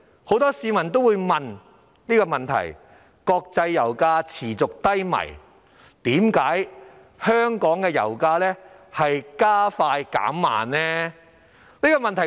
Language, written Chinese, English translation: Cantonese, 很多市民提問，現時國際油價持續低迷，為何香港的油價卻"加快減慢"？, Given that the international oil prices have been on the low side for a long time many people query why local oil prices are quick to rise and slow to drop